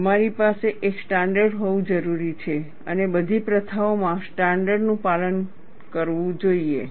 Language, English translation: Gujarati, So, you need to have a standard and adhere to the standard in all the practices